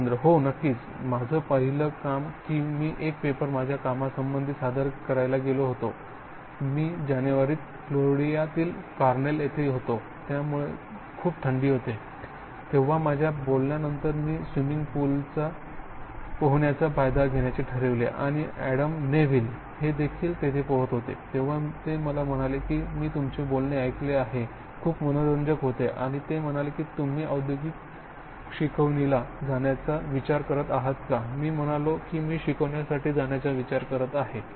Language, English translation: Marathi, Oh absolutely, in fact my first job I had gone to present a paper which has to do with, my work at, I was at Cornell in Florida and this was in January, so it cause very cold so after my talk I decided to take advantage of swimming pool and who else was swimming was Adam Neville, so he said you know I heard your talk, very interesting and are you planning to go to industrial teaching I said I’m planning to go in teaching